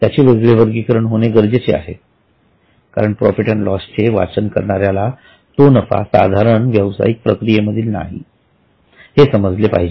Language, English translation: Marathi, It needs to be separately categorized because readers of P&L account should know that this is not a profit in the normal course of business